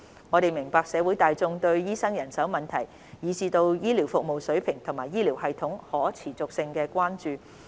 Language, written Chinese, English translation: Cantonese, 我們明白社會大眾對醫生人手問題，以至對醫療服務水平及醫療系統可持續性的關注。, We understand the public concern about the manpower of doctors as well as the healthcare service standard and the sustainability of the healthcare system